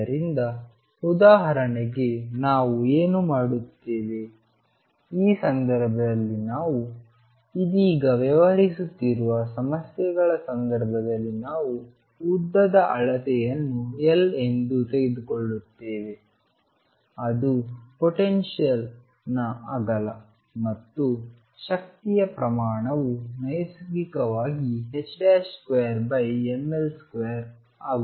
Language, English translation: Kannada, So, what we do for example, in this case in the case of the problems that we are dealing with right now is that length scale we will take to be L that is the width of the potential and the energy scale naturally becomes h cross square over ml square